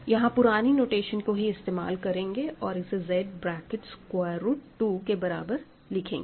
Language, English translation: Hindi, We denote it, just following the earlier notation, we put it Z square bracket root 2 ok